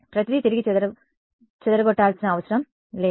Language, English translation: Telugu, Everything need not scatter back